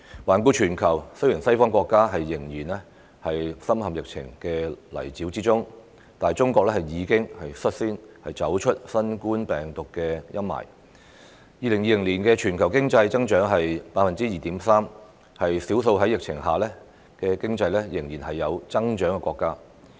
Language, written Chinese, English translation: Cantonese, 環顧全球，當西方國家仍然深陷疫情的泥沼，中國已率先走出新冠病毒的陰霾，於2020年錄得 2.3% 的全年經濟增長，是少數在疫情下經濟仍有增長的國家。, Looking around the world when the western countries are still deeply stuck in the spread of the epidemic China is the first to get out of the shadow of the epidemic . With an annual economic growth of 2.3 % in 2020 China is amongst the few economies to have growth amid the epidemic